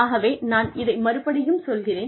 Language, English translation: Tamil, So, I will repeat this